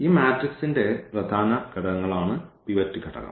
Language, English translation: Malayalam, The pivot element are the important elements of this matrix